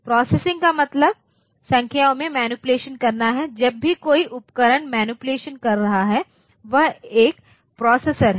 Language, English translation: Hindi, So, processing means to manipulate the numbers, whenever a device is doing those manipulation so that is a processor